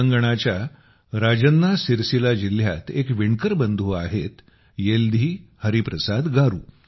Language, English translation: Marathi, There is a weaver brother in Rajanna Sircilla district of Telangana YeldhiHariprasad Garu